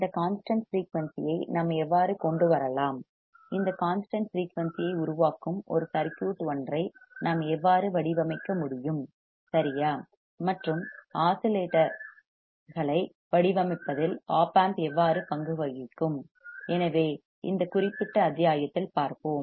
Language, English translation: Tamil, How we can arrive to this constant frequency, how we can design a circuit that will generate this constant frequency right and how the op amp will play a role in designing the oscillators, so that we will see in this particular module